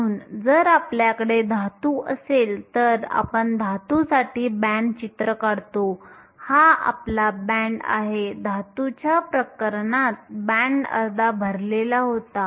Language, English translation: Marathi, So, if you have a metal we draw a band picture for a metal, this is your band the case of a metal your band was half full